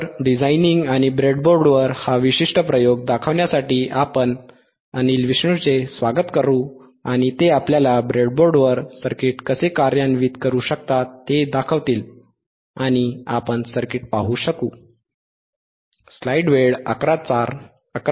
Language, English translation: Marathi, , Llet us welcome Anil Vishnu and he will show us how we can implement the circuit on the breadboard and we will be able to see the circuit